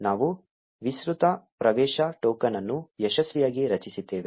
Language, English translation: Kannada, We have successfully generated an extended access token